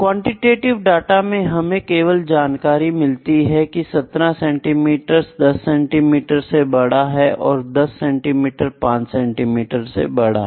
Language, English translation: Hindi, And in quantitative data with just have the information 17 centimetres is greater than 10 centimetres which is greater than 5 centimetres